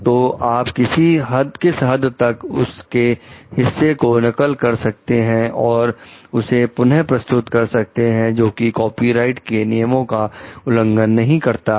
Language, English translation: Hindi, So, what are what is that portion that you may copy, that you may reproduced which is not violating the copyright